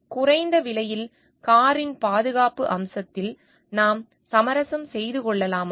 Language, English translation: Tamil, Can we compromise on the safety aspect of the car to make it a low price